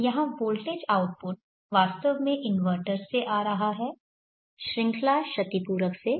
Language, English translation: Hindi, So voltage output here is actually coming from this inventor the series compensator this is d